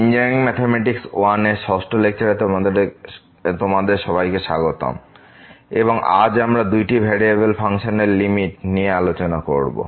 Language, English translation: Bengali, I welcome to the 6th lecture on Engineering Mathematics I and today, we will discuss Limit of Functions of Two variables